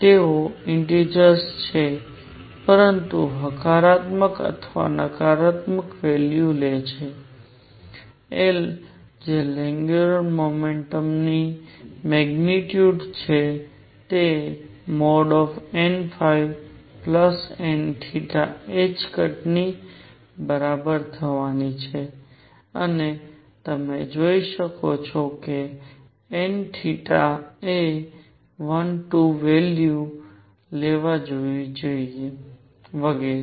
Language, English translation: Gujarati, They are integers, but take positive and negative values, L which is the magnitude of angular momentum is going to be equal to n theta plus modulus n phi h cross and you can see that, n theta should take values of 1, 2 and so on